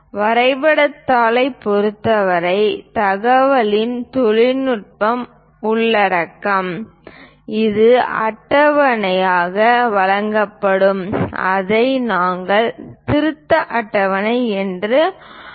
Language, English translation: Tamil, For the drawing sheet usually the technical content or the information will be provided as a table that’s what we call revision table